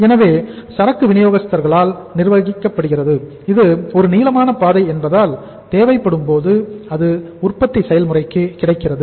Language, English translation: Tamil, So inventory is being managed by the supplier but since it is a just a ways length so it means as and when it is required it is available to the manufacturing process